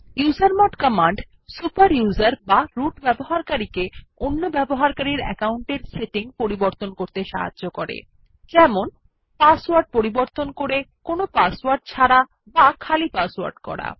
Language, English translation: Bengali, The usermod command Enables a super user or root user to modify the settings of other user accounts such as Change the password to no password or empty password